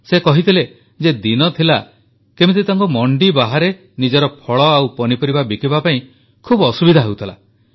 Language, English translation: Odia, He told us how there was a time when he used to face great difficulties in marketing his fruits and vegetables outside the mandi, the market place